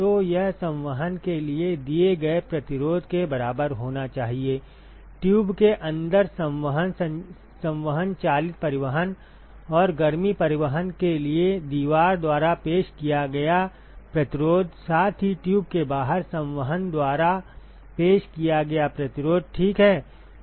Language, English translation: Hindi, So, that should be equal to the resistance offered for convection, convection driven transport in the inside of the tube plus the resistance offered by wall for heat transport, plus resistance offered by convection outside the tube ok